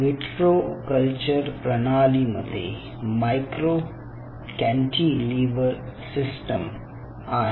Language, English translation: Marathi, and in vitro culture system out here is micro cantilever system